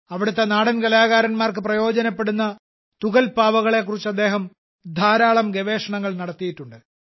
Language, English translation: Malayalam, He has also done a lot of research on leather puppets, which is benefitting the local folk artists there